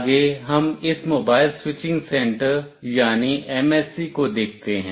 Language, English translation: Hindi, Next we see this MSC or Mobile Switching Center